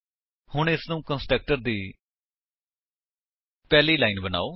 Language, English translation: Punjabi, So, make it the first line of the constructor